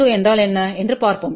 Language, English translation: Tamil, Let us see what is S 22